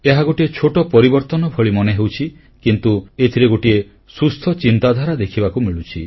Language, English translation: Odia, It appears to be a minor change but it reflects a vision of a healthy thought